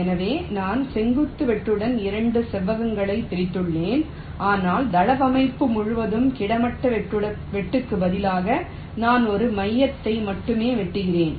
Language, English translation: Tamil, so i start with a vertical cut dividing up into two rectangles, but instead of a horizontal cut across the layout, i am cutting only one of the hubs